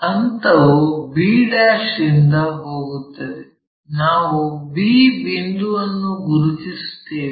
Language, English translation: Kannada, So, the step goes from b ' locate point b and join a b